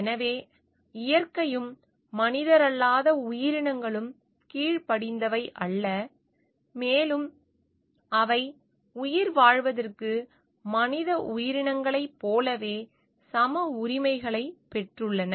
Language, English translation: Tamil, And so, nature also non human entities also are not subordinate, and they are at having equal rights for like the human entities for their survival